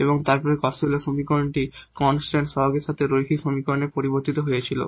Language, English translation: Bengali, So, here the Cauchy Euler equations are the equations with an on a constant coefficient